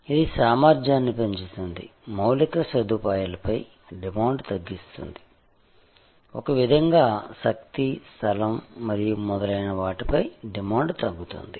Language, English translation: Telugu, Increases efficiency, decreases demand on infrastructure, in a way also decreases demand on for energy, space and so on